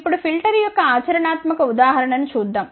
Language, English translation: Telugu, Now, let us see the practical example of the filter